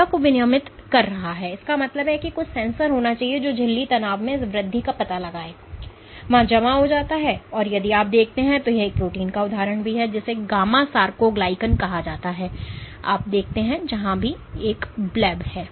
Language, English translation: Hindi, So, what is regulating the self; that means, there must be some sensor which detects this increase in membrane tension and accumulates there and if you see this is an example of a protein called gamma sarcoglycan what you see is wherever there is a bleb